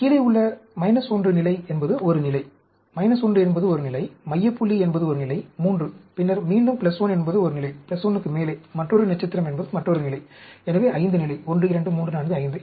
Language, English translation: Tamil, The same slide as above one below the minus 1 level is one level; the minus 1 is one level; the center point is one level 3; and then, again, plus 1 is one level; and above the plus 1, another star is another level, so 5 level, 1, 2, 3, 4, 5